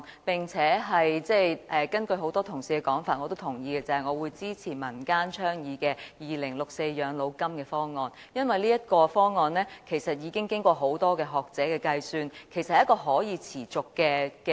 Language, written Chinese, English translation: Cantonese, 我也認同很多同事的說法，就是我支持民間倡議的2064全民養老金方案，因為這個方案經過多位學者計算，是一個可持續的方案。, I also agree with the remarks made by many Honourable colleagues that is I support the community - initiated 2064 Universal Old Age Pension Option because it is a sustainable option proposed after calculations done by a number of scholars